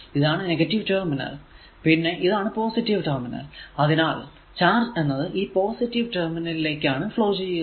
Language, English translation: Malayalam, So, this is actually negative charge flowing, this is the negative terminal, this is the positive terminal